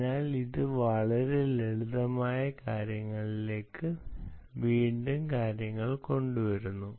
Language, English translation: Malayalam, so, which brings us to very simple things again